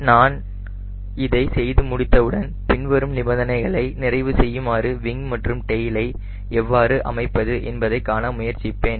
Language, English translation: Tamil, once i do that, then we were looking for how do i set the wing and tail so that this two conditions are met